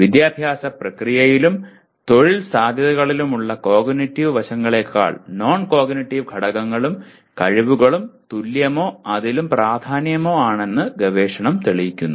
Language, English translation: Malayalam, And till now, the research shows that the non cognitive factors and skills are equally or even more important than cognitive aspects in educative process and employment potential